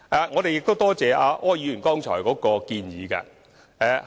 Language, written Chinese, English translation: Cantonese, 我感謝柯議員剛才的建議。, I would like to thank Mr OR for his suggestions